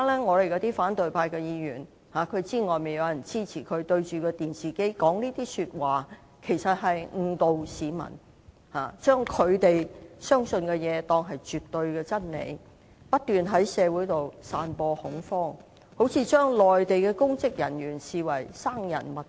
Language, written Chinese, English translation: Cantonese, 我們的反對派議員知道現時外面有人支持他們，但他們面對着電視機的發言，其實是誤導市民，把他們相信的東西當作是絕對的真理，不斷在社會上散播恐慌，把內地公職人員視為生人勿近。, Our opposition Members know that there are now people gathering outside the legislature to support them . But what they have spoken before the television camera is essentially misleading . They turn what they themselves believe into the absolute truth and pursue scaremongering describing Mainland public officers as utterly unapproachable